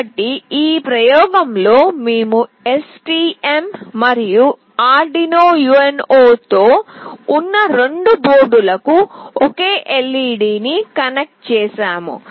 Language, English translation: Telugu, So in this experiment we have connected a single LED to both the boards that is STM and with Arduino UNO